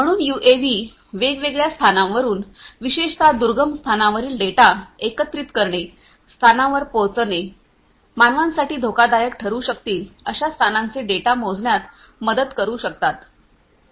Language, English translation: Marathi, So, UAVs can help in measuring different data, from different locations particularly collecting data from remote locations you know hard to reach locations, locations which could be hazardous for human beings and so on